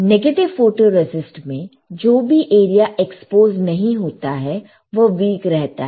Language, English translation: Hindi, Because in negative photoresist, whatever area is not exposed will be weaker in positive photoresist